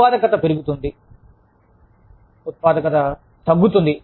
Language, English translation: Telugu, Productivity goes down